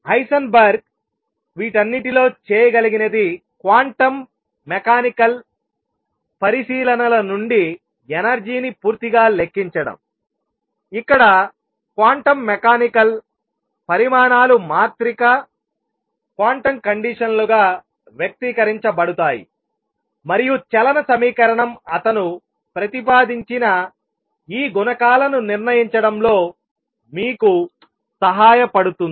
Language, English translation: Telugu, So, that comes out correctly and the energy has 0 point energy what Heisenberg has been able to do in all this is calculate the energy purely from quantum mechanical considerations, where the quantum mechanical, quantities are expressed as matrices quantum conditions and equation of motion help you determine these coefficients that he proposed